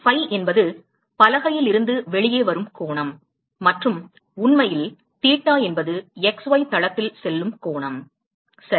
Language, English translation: Tamil, phi is the angle that actually comes out of the board and theta is the angle which actually goes in the x y plane ok